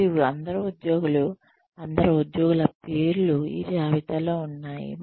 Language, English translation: Telugu, So, all the employees, the names of all the employees, are on this list